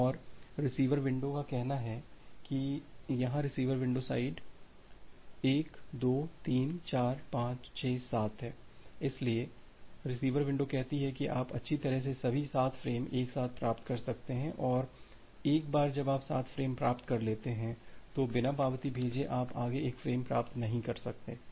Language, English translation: Hindi, And the receiver window say that here the receiver window side is 1 2 3 4 5 6 7 so, receiver window says that well you can receive 7 frames all together and once you have received 7 frames, you will not be able to receive any further frame without sending back an acknowledgement